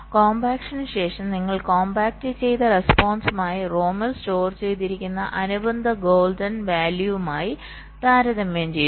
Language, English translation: Malayalam, you compare with the compacted response with the corresponding golden value that is stored in the rom